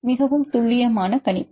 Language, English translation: Tamil, More accurate prediction